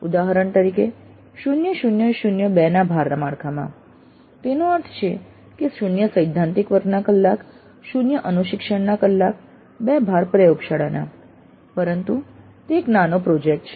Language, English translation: Gujarati, For example with a credit structure of 0 0 0 2 that means 0 3 hours, 0 tutorial hours, 2 credits worth but that is a mini project